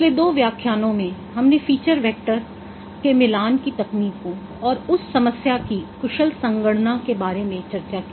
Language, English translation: Hindi, In the last two lectures we discussed about the techniques for matching feature vectors and also efficient computation of that problem